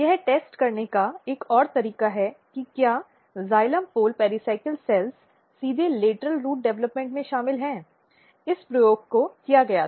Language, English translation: Hindi, Another way to test whether that xylem pole pericycle cells are directly involved in the lateral root development this experiment was performed